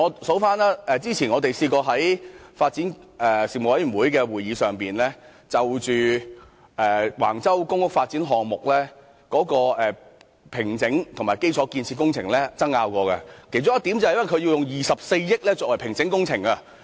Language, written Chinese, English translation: Cantonese, 主席，例如我們曾在發展事務委員會會議上，就橫洲公屋發展項目的工地平整和基礎建設工程爭拗，其中一點是關於使用24億元進行工地平整工程。, For example President at the meeting of the Panel on Development we argued about the site formation and infrastructural works in the public housing development project at Wang Chau . One of the points was about spending 2.4 billion on the site formation works